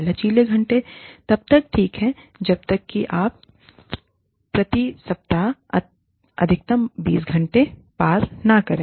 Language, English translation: Hindi, Flexi hours are okay, as long as you do not cross, a maximum of say, 20 hours per week